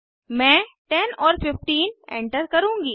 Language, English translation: Hindi, I will enter 10 and 15